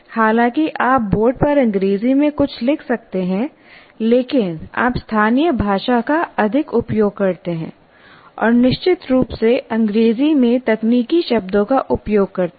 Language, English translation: Hindi, While you may write something on the board in English, but you keep talking, use more of local language and using of course the technical words in English